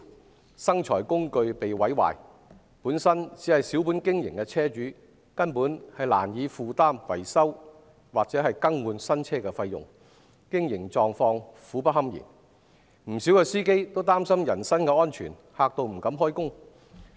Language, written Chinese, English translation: Cantonese, 面對生財工具被毀壞，本身只是小本經營的車主，根本難以負擔維修或更換新車的費用，經營狀況苦不堪言；不少司機更因擔心人身安全，不敢開工。, Faced with the destruction of their income - generating tools the small business owners find it difficult to afford the costs of repairs or buying new ones . Their operation is badly affected and many drivers who have concerns about their personal safety are afraid to go to work